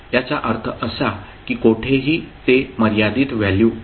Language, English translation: Marathi, So it means that anywhere it is a finite value